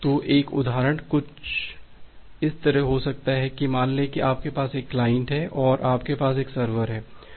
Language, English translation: Hindi, So, the one example can be something like this, say you have a client and you have a server